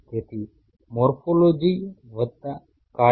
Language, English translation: Gujarati, So, morphology plus function